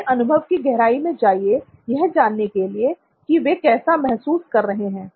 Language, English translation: Hindi, Go into the depths of experience what they are experiencing to find out what they are going through